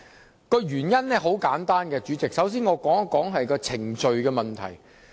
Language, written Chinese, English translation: Cantonese, 反對的原因很簡單，我首先會討論程序問題。, The reasons for opposing this are simple . I will discuss the procedural issue first